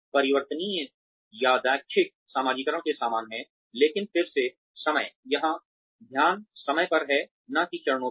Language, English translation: Hindi, Variable is similar to random socialization, but, the time again, here the focus is on time, not on the steps